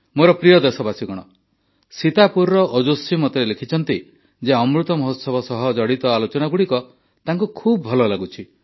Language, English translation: Odia, Ojaswi from Sitapur has written to me that he enjoys discussions touching upon the Amrit Mahotsav, a lot